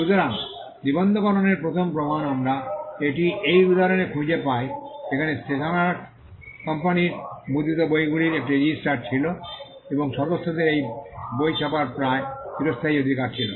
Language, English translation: Bengali, So, the first evidence of registration we find it in this instance where the stationers company had a register of the books that it printed, and members had almost a perpetual right to print the books